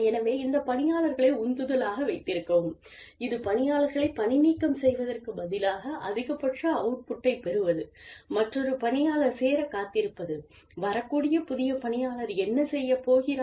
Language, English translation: Tamil, So, in order to keep these employees motivated, and in order to, you know, to get the maximum output, from these employees, instead of firing them, and waiting for another person to join, and wondering, what the other person is going to do